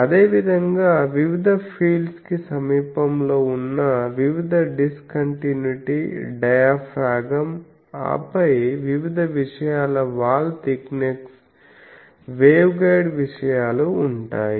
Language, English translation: Telugu, Similarly various discontinuity diaphragm near the various field then wall thickness of various a things wave guide things